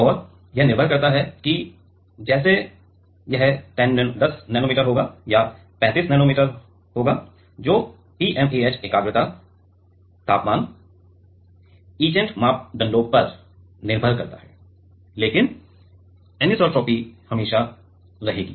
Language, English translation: Hindi, And that depends like whether it will be 10 nanometer or 35 nanometer that depends on the TMAH concentration temperature etcetera parameters, but anisotropy will be always there